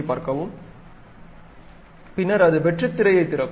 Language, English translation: Tamil, Then it opens a blank screen